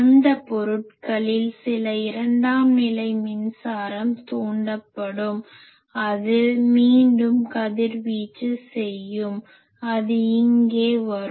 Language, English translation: Tamil, Then that there will be some secondary currents induced, in those bodies and that will again reradiate and that will come here